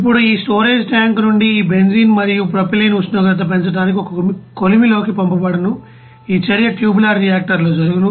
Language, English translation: Telugu, Now these benzene and propylene from this storage tank is you know send to you know a furnace to raise it is temperature for the reaction in a tubular reactor here